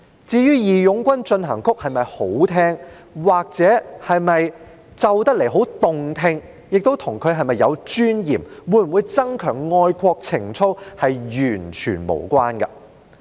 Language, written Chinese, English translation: Cantonese, 至於"義勇軍進行曲"是否好聽，又或彈奏起來是否很動聽，與它是否有尊嚴，會否增強愛國情操，是完全無關的。, As to whether March of the Volunteers is pleasing to the ear or whether the music when played with a piano is very nice to listen to it is completely unrelated to whether the song has dignity and whether patriotic sentiments will be enhanced